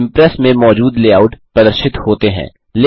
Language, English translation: Hindi, The layouts available in Impress are displayed